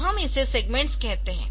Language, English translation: Hindi, So, we call this segments ok